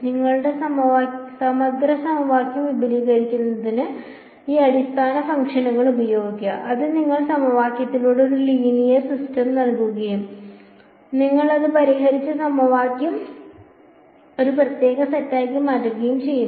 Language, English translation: Malayalam, Then use those basis functions to simplify your expand your integral equation and convert it into a discrete set of equations which finally, gave you a linear system of equations and we solved it